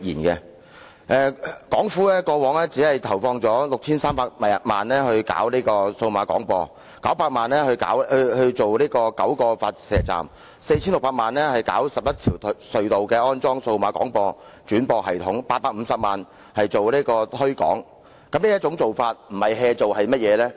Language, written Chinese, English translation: Cantonese, 港府過往只投放了 6,300 萬元推行數碼廣播、900萬元興建9個發射站、4,600 萬元在11條隧道安裝數碼廣播轉播系統，以及850萬元進行推廣，這樣不是"做"是甚麼呢？, The Government has only injected 63 million in developing DAB services 9 million in constructing nine transmitting stations 46 million in constructing DAB re - broadcasting systems in 11 government tunnels and 85 million in promoting the services is it not clear that the Government has been developing the services half - heartedly?